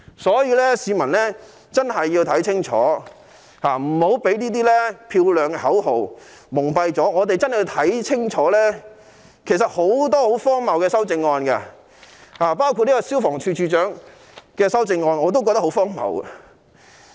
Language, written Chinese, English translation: Cantonese, 所以市民真的要看清楚，不要被他們漂亮的口號蒙蔽，我們要看清楚其實有很多十分荒謬的修正案，例如有關消防處處長的修正案，我同樣感到荒謬。, Hence members of the public have to be discerning so that they will not be blinded by their noble slogans . When we examine the amendments closely we will notice that many of them are really ridiculous such as the amendment concerning the Director of Fire Services . I find this amendment ridiculous too